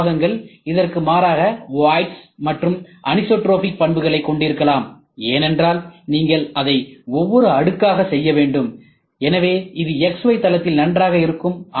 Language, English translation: Tamil, Some RM parts, in contrast, may have voids and anisotropic property, because you have to do it by layer by layer by layer, so it is good in x, y plane